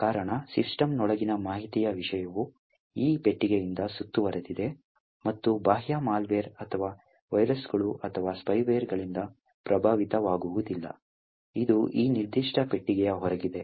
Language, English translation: Kannada, The reason is that, the information content in the system is enclosed by this box and is not affected by the external malware or viruses or spyware, which is outside this particular box